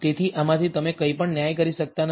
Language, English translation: Gujarati, So, from this you cannot judge anything